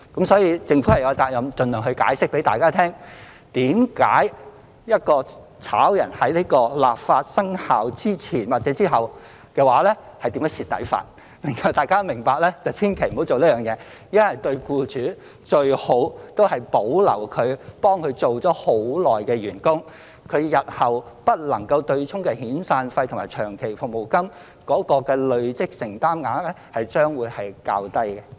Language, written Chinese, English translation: Cantonese, 所以，政府有責任盡量向大家解釋，為何在立法生效前或後解僱員工是會吃虧的，讓大家明白千萬不要這樣做，因為對僱主而言，最好就是保留為他們工作已久的員工，日後不能夠"對沖"的遣散費和長服金累積承擔額將會較低。, Therefore the Government has the responsibility to explain to all as much as possible why it would be disadvantageous to dismiss employees before or after commencement of the amended legislation so that all will understand that they should never do so . The reason is that it is best for employers to retain their long - serving staff members as the cumulative commitment for SP and LSP that cannot be offset in future will be lower